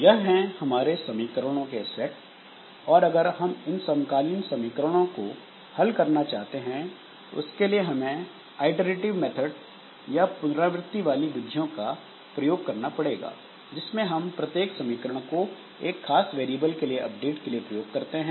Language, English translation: Hindi, Similarly, A31 x1, if we want to solve this simultaneous equations, there are some methods, iterative methods for doing that in which each equation we use for one particular variable update